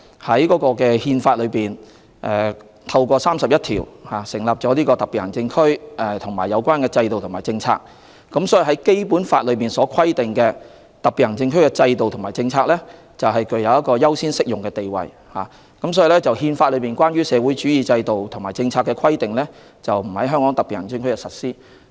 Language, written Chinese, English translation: Cantonese, 《憲法》透過第三十一條，對設立特別行政區及有關制度和政策作出規定，而《基本法》對於香港特別行政區的制度和政策的規定，是具有優先適用的地位，亦因而《憲法》內有關社會主義的制度和政策的規定，是不會在香港特別行政區內實施。, Article 31 of the Constitution provides for the establishment of special administrative regions and their systems and policies; and the Basic Law which sets out the specific systems and policies of the HKSAR has a priority in application in this regard and that is why the socialist systems and the policies set out in the Constitution will not be implemented in the HKSAR